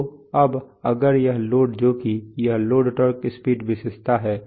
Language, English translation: Hindi, So now if this load which is this is the load torque speed characteristic